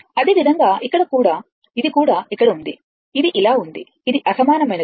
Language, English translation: Telugu, Similarly, here it is also here also it is like this it is unsymmetrical